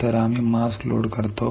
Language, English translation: Marathi, So, we load the mask